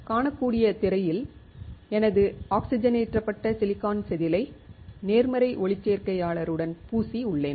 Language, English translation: Tamil, On the screen you can see, I have coated my oxidised silicone wafer with a positive photoresist